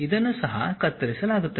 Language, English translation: Kannada, This is also cut